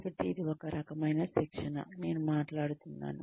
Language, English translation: Telugu, So, this is the kind of training, I am talking about